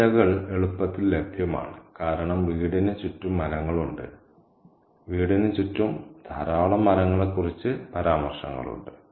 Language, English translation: Malayalam, So, these leaves are easily available because the house is surrounded by trees, there are references to plenty of trees around the house